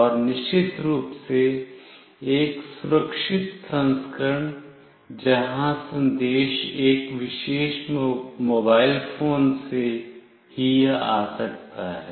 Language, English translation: Hindi, And a secured version of course, where the message must come from a particular mobile phone